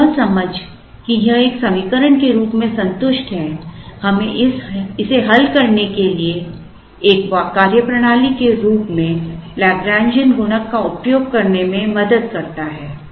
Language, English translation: Hindi, Now, the understanding that this is satisfied as an equation helps us use Lagrangian Multiplier as a methodology to solve it